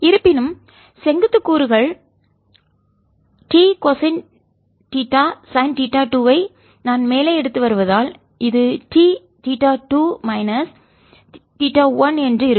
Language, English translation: Tamil, however, the vertical components, since i am taking t cosine theta sine theta two to be going up, so it'll be t theta two minus theta one